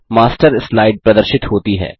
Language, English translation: Hindi, The Master Slide appears